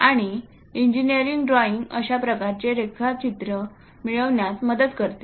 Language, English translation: Marathi, And engineering drawing helps in achieving such kind of drawings